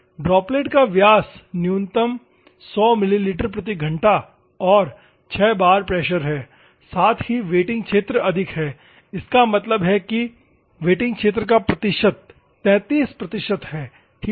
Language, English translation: Hindi, The droplet diameter is minimum in 100 milliliters per hour and 6 bar pressure, at the same time wetting area is high; that means, that percentage of wetting area is 33 percent ok